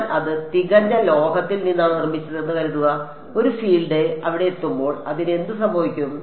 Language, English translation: Malayalam, Supposing I made it out of perfect metal so, what will happen to a field when it hits there